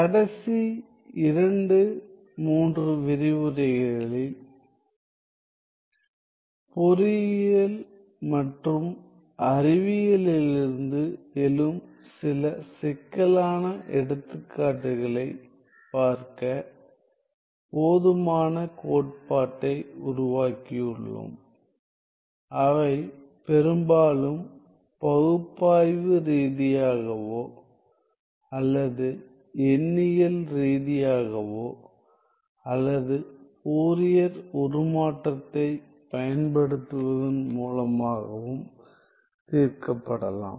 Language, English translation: Tamil, The last 2 3 lectures we have developed sufficient theory to look at some complex examples arising from engineering and sciences that can be solved analytically mostly analytically or numerically otherwise as well via the use of Fourier transform